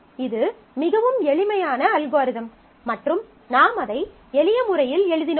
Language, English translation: Tamil, That is a very simple algorithm and I just wrote it in simple hand